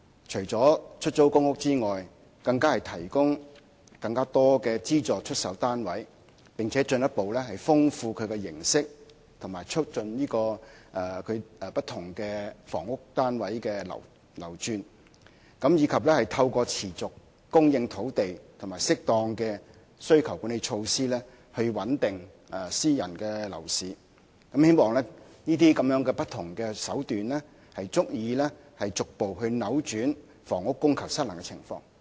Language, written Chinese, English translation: Cantonese, 除出租公屋外，當局更提供更多資助出售單位，並且進一步豐富其形式及促進不同房屋單位的流轉，以及透過持續供應土地和適當的需求管理措施，穩定私人樓市，希望這些不同的手段足以逐步扭轉房屋供求失衡的情況。, Apart from PRH the Government would also provide more subsidized sale flats expand the forms of subsidized home ownership and facilitate the market circulation of various types of housing units as well as stabilize the private property market through a steady land supply and appropriate demand - side management measures in the hope of gradually averting the housing supply - demand imbalance